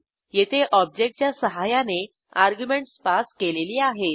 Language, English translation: Marathi, And here we have passed the arguments using the Object